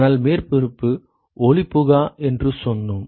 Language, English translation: Tamil, But we said that the surface is opaque